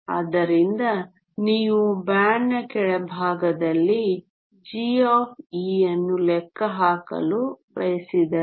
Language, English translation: Kannada, So, if you want to calculate g of e at the bottom of the band